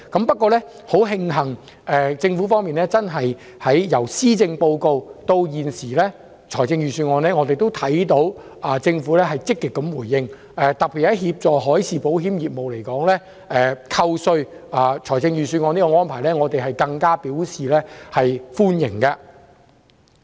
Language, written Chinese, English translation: Cantonese, 不過，很慶幸，政府在本年度施政報告及預算案均有作出積極回應，特別是就協助海事保險業而言，預算案中有關扣稅的安排，我們更表示歡迎。, However it is fortunate that the Government has responded positively in both the Policy Address and Budget this year . In particular it proposes in the Budget tax concessions which will definitely be conducive to the development of the marine insurance industry and we welcome that